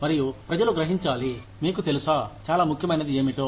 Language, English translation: Telugu, And, the people have to realize, you know, what is more important